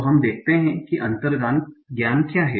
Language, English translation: Hindi, So let's see what is the intuition